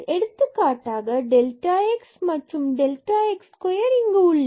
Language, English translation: Tamil, So, what will happen you have delta x there and delta x square here